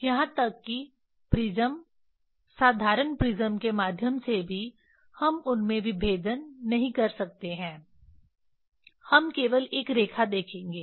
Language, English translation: Hindi, Even through prism ordinary prism we cannot resolve them; we will see only one line